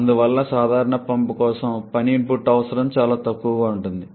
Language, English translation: Telugu, Therefore, the work input requirement for the pump in general is extremely low